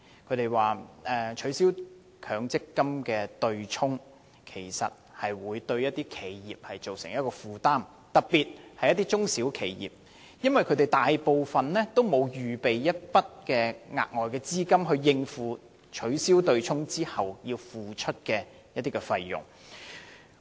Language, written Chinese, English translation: Cantonese, 他們表示取消強積金的對沖機制，會對一些企業造成負擔，特別是中小型企業，因為這些企業大部分沒有撥備額外資金，以應付取消對沖機制後要付出的費用。, They stated that the abolition of the MPF offsetting mechanism will encumber some companies especially small and medium enterprises SMEs because most of them do not reserve extra funds to meet the payments incurred by the abolition of the offsetting mechanism